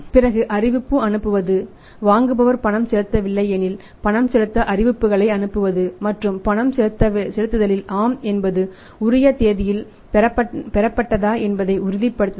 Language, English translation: Tamil, And then say sending the notices when the payment is due if it is not paid by the buyer and then making sure that yes on the payment is received on the due date